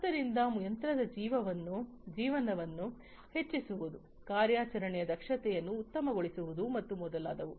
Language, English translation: Kannada, So, on increasing the machine life, optimizing the operational efficiency, and many others